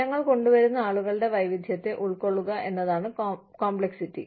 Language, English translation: Malayalam, Complexity is to, accommodate the diversity of people, who we bring in